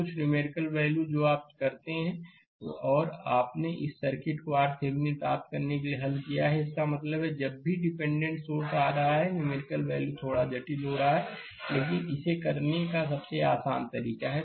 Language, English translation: Hindi, Some numerical value you do and you have solve this circuit to get the R Thevenin; that means, whenever dependent source is coming that numericals becoming little bit complicated, but easiest way to do it right